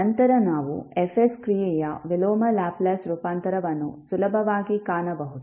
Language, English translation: Kannada, Then you can easily find out the inverse Laplace transform